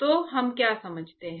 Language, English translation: Hindi, So, what we understand